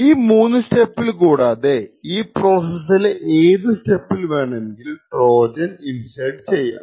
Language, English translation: Malayalam, So, besides these three steps in the entire process Trojans can be inserted in any of the other steps